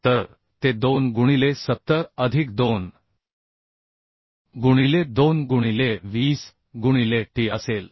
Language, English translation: Marathi, So 70 into t cube by 12 plus ar square into 2 plus t into 220 cube by 12 into 2 ok